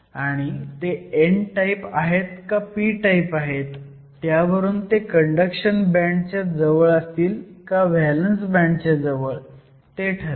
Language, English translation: Marathi, And, depending upon whether they are n type or p type there will be located either close to the conduction band edge or the valence band edge